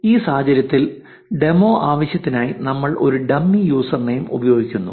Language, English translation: Malayalam, In this case, I am using a dummy user name for the demo purpose